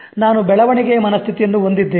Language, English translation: Kannada, I have the growth mindset